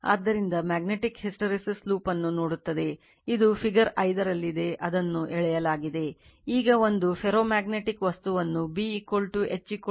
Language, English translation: Kannada, So, magnetic you will see this a your what you call hysteresis loop suppose, this is in figure 5, it has been drawn